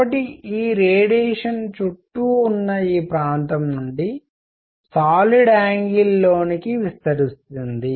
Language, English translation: Telugu, So, this radiation is going all around from this area into the solid angle all around